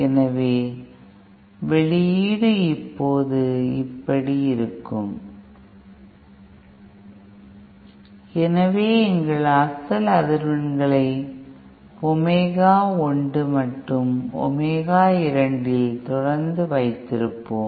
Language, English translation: Tamil, So the output will now look like this, so we will continue having our original frequencies at omega 1 and omega 2